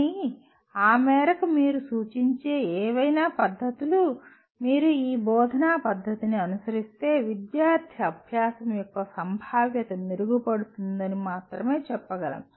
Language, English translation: Telugu, But so to that extent any methods that you suggest we can only say the probability of the student learning better improves if you follow this instructional method